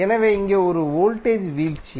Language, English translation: Tamil, So here it is a voltage drop